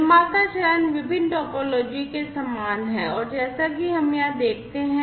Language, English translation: Hindi, The producer phase is similar across different topologies and as we see over here